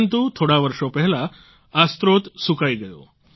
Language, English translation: Gujarati, But many years ago, the source dried up